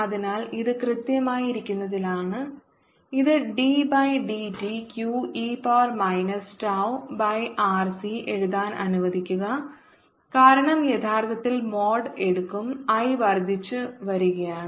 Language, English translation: Malayalam, so this is, for being precise, let me write it: d by d t, q naught, e to the power minus tau by r c, and i will take the mod because i is increasing in fact